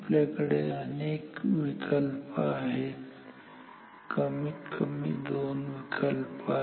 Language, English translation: Marathi, We have many choices two choices at least